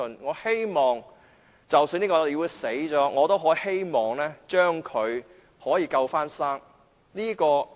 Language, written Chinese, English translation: Cantonese, 我希望，即使這個議會死掉，我也可以把它起死救生。, I hope that even if the Council is dead I can still bring it back to life